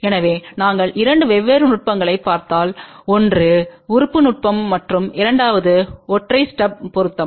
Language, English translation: Tamil, So, we looked into two different techniques one was lumped element technique and the second one was single step matching